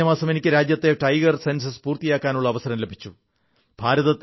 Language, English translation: Malayalam, Last month I had the privilege of releasing the tiger census in the country